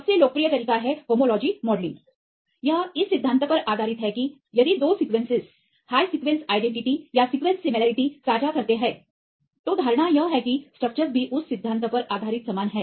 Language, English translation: Hindi, One of the most popular methods rights that is called homology modelling, it is based on the principle that if two sequences share high sequence identity or sequence similarity then the assumption is that the structures are also similar based on that principle